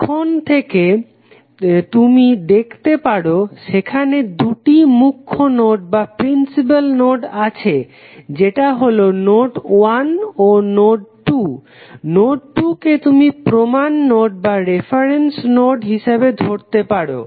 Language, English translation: Bengali, You can see from here there are two principal nodes that is node 1 and node 2, node 2 you can take it as a reference node